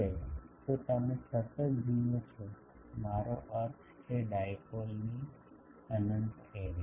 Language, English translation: Gujarati, Now, so, you see a continuous, I mean infinite array of dipoles